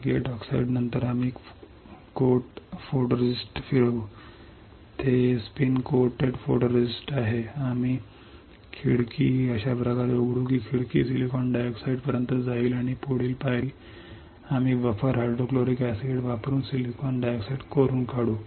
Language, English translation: Marathi, After gate oxide we will spin coat photoresist, it is spin coat photoresist, we will open the window like this such that the window goes all the way to the silicon dioxide and the next step we will etch the silicon dioxide by using buffer hydrofluoric acid